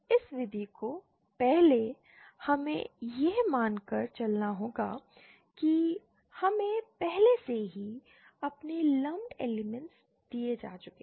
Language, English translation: Hindi, This method first we have to we assume that we have already been given our lumped elements